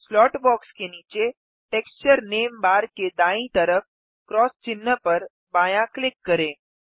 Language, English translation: Hindi, Left click the cross sign at the right of the Texture name bar below the slot box